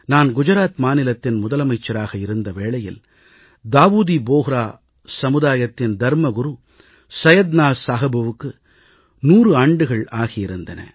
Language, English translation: Tamil, When I was Chief Minister of Gujarat, Syedna Sahib the religious leader of Dawoodi Bohra Community had completed his hundred years